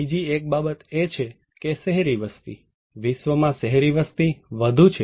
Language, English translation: Gujarati, One more thing is that urban population; urban population in the world is dominating